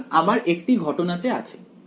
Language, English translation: Bengali, So, I have in one case